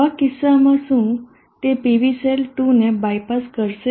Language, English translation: Gujarati, In such a case will this by pass PV cell 2, will the circuit work